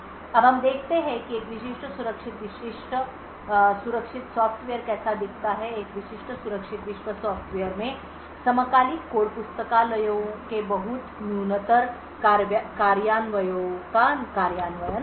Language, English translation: Hindi, We now look at how a typical secure world software looks like, a typical secure world software would have implementations of very minimalistic implementations of synchronous code libraries